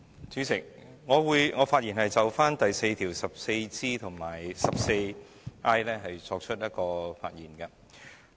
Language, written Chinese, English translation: Cantonese, 主席，我會就第4條所涉及的第 14G 和 14I 條發言。, Chairman I will speak on clause 4 which involves the proposed section 14G and 14I